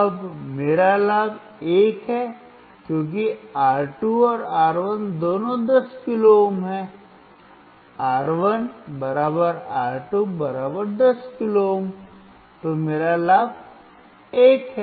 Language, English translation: Hindi, Now my gain is 1, because R2 and R1 both are 10 kilo ohm, R1 = R2 = 10 kilo ohm so, my gain is 1